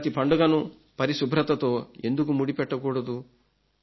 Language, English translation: Telugu, Why don't we associate each festival with cleaniness